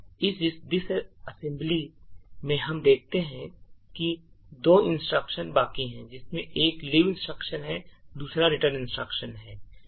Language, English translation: Hindi, Now let us get back to the disassembly and what we see is that there are 2 instructions remaining one is the leave instruction and then the return instruction